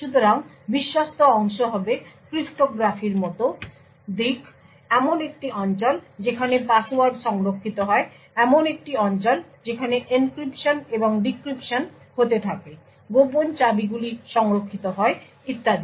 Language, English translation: Bengali, So, the trusted part would be aspects such as cryptography, whether a region where passwords are stored, a region where encryption and decryption is done, secret keys are stored and so on